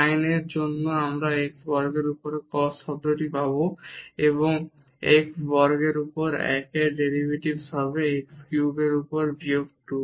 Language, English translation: Bengali, For sin we will get the cos term 1 over x square and the derivative of 1 over x square will be minus 2 over x cube